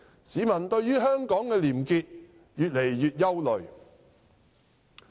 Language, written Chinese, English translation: Cantonese, 市民對於香港的廉潔越來越憂慮。, Members of the public feel increasingly concerned about probity in Hong Kong